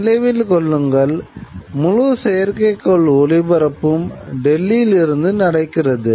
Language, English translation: Tamil, You remember, that means this entire satellite broadcasting is happening from Delhi